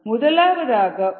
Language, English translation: Tamil, that is ah, the